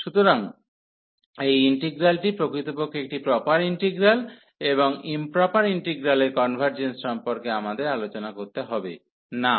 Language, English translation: Bengali, So, this integral is indeed a proper integral and we do not have to discuss about the convergence of improper integrals